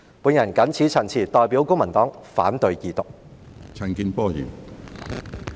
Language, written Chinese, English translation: Cantonese, 我謹此陳辭，代表公民黨反對二讀。, With these remarks I oppose the Second Reading of the Bill on behalf of the Civic Party